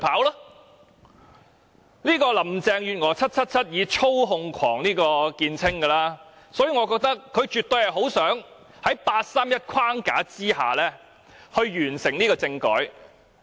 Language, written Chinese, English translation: Cantonese, "777" 林鄭月娥以操控狂見稱，所以我認為她絕對很想在八三一框架下完成政改。, 777 Carrie LAM is famous for being a control freak . Therefore I think she absolutely wants to accomplish the constitutional reform under the 31 August framework